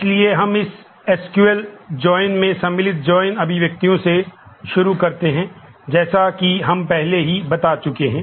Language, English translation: Hindi, So, we start with the join expressions in SQL join as we have already introduced